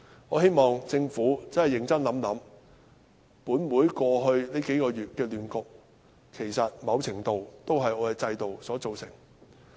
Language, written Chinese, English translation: Cantonese, 我希望政府要認真想一想，本會過去數月的亂局，其實在某程度上是由我們的制度造成。, I hope the Government will give it some serious thoughts . The chaotic situation in this Council in the past few months was to a certain extent caused by our system . In closing I have to tender apologies to members of the public